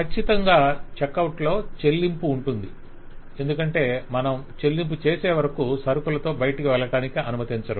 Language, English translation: Telugu, Certainly, the check out will include payment, because you are not allowed to go away with the goods until you have made the payment